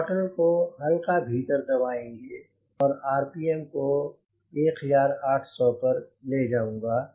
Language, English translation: Hindi, so with this i push the throttle gradually inside and take the rpm to eighteen hundred